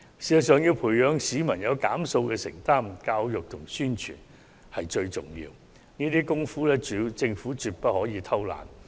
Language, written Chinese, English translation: Cantonese, 事實上，要培養市民減用塑膠用品的承擔，教育和宣傳最為重要，政府在這方面絕對不可偷懶。, As a matter of fact education and publicity are of the greatest importance to the cultivation of a sense of commitment among the public to using less plastic products and there is no room for laziness for the Government